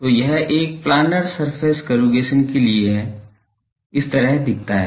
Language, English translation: Hindi, So, this is for a planar surface corrugation looks like this